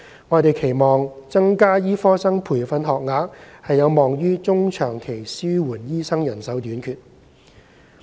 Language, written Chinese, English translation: Cantonese, 我們期望增加醫科生培訓學額有望於中長期紓緩醫生人手短缺。, We expect that increasing the number of medical training places will alleviate the manpower shortage of doctors in the medium to long term